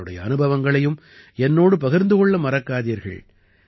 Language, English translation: Tamil, Don't forget to share your experiences with me too